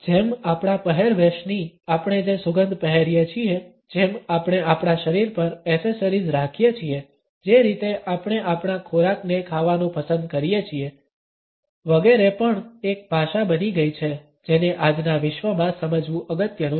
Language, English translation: Gujarati, Like our dress like the smells we wear, like the accessories we carry along with our body, the way we prefer our food to be eaten etcetera also has become a language which is important to understand in today’s world